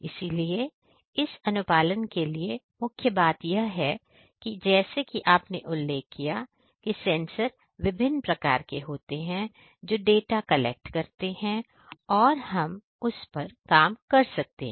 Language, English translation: Hindi, So, for this compliance the main thing is that as you mentioned that the sensor, sensor we can engage different types of the sensor which collects the data and then we can work on that